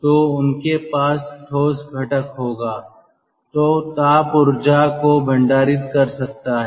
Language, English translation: Hindi, so they will have solid, solid component which can store, ah um, thermal energy